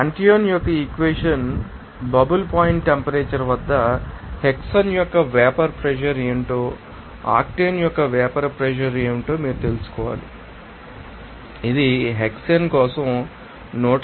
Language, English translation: Telugu, Now, at this bubble point temperature as for Antoine’s equation, you have to find out past what will be the vapor pressure of hexane and what was the vapor pressure of octane and it is coming as 150